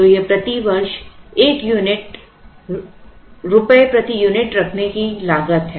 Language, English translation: Hindi, So, this is the cost of holding one unit rupees per unit per year